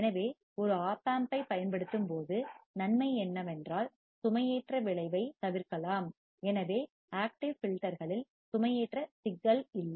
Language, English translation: Tamil, So, the advantage is when we use a Op Amp, then the loading effect can be avoided, so no loading problem in case of active filters